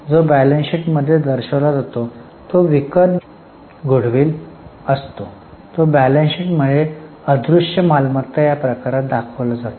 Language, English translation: Marathi, What is disclosed in the balance sheet is called as a purchased goodwill which is classified as intangible asset in the balance sheet